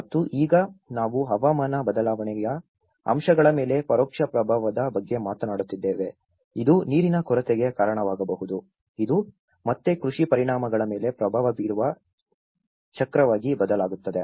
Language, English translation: Kannada, And now, that is where we are talking about the indirect impact on the climate change aspects, which may result in the shortage of water, which will again turn into a cycle of having an impact on the agricultural impacts